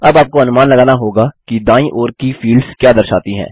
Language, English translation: Hindi, By now you would have guessed what the fields on the left hand side indicate